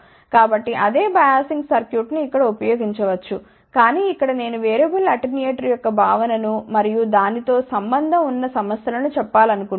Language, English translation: Telugu, So, the same biasing circuit can be used over here, but here I just want to tell the concept of the variable attenuator and the problems associated with it